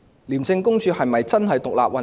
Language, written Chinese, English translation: Cantonese, 廉署是否真的獨立運作？, Is ICAC really functioning independently?